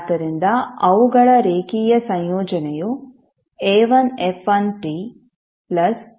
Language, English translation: Kannada, So their linear combination like a1 f1 t plus a2 f2 t